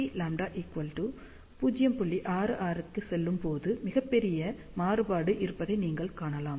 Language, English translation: Tamil, 66, you can see that there is a very large variation